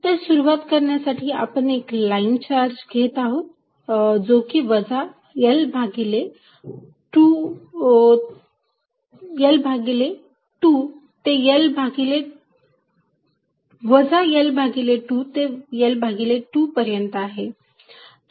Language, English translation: Marathi, To start with, let us take a line charge extending from minus L by 2 to L by 2